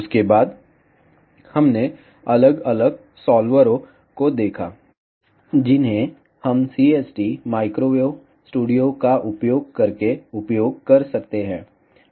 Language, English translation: Hindi, After that, we saw different solvers, which we can use using CST microwave studio